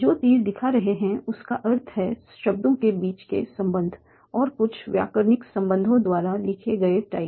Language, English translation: Hindi, These arrows are showing me the relation between words and are also tied by some grammatical relation